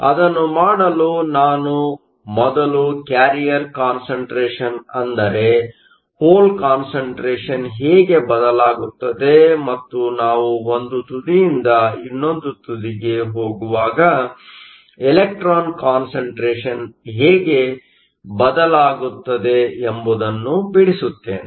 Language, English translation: Kannada, To do that let me first draw how the carrier concentration that is the hole concentration changes and the electron concentration changes as we go from one end to the other